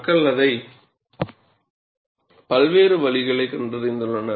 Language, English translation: Tamil, And people have found various ways to do that